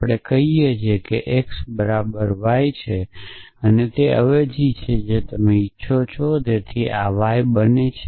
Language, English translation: Gujarati, So, we say x equal to y is the substitution you want so this becomes mortal y